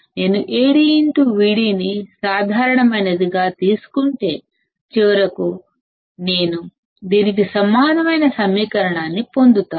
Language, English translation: Telugu, So, now if Vo equals to Ad into Vd plus Acm into Vcm; if I take AdVd as common, then finally, I will get an equation which is similar to this